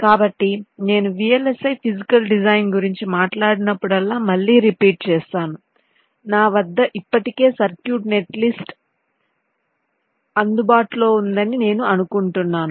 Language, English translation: Telugu, so again, i repeat, whenever i talk about vlsi physical design, i assume that i already have a circuit netlist available with me